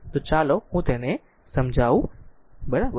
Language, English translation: Gujarati, So, let me clean this one, right